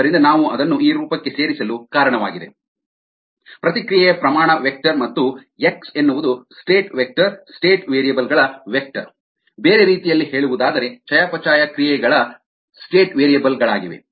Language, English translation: Kannada, so thats the reason why we got it into this form: reaction rate vector and x is a state vector, vector of state variables [vocalized noise], in other words, metabolites of state variables